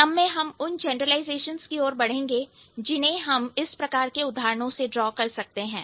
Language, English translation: Hindi, So, on this note, we will move to the generalizations that we can draw from this kind of examples